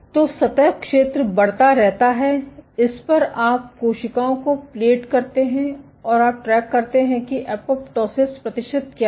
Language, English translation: Hindi, So, the surface area keeps on increasing you plate cells on this, and you track what is the percentage apoptosis